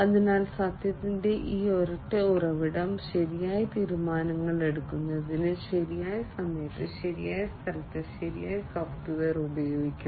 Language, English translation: Malayalam, So, this single source of truth must employ the right software, at the right time, at the right place for right decision making